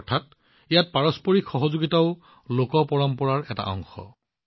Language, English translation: Assamese, That is, mutual cooperation here is also a part of folk tradition